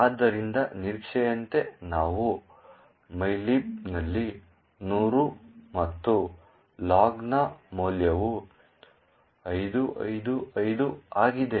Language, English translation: Kannada, So, as expected we would see in mylib is 100 and the value of log is 5555